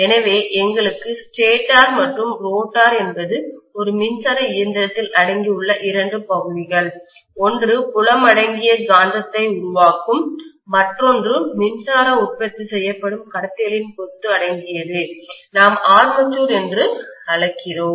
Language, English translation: Tamil, So we have stator and rotor are the 2 portions in an electrical machine where they may be accommodating, one will be accommodating field which will produce magnetism, the other one may be accommodating the bunch of conductors in which electricity is produced which we call as armature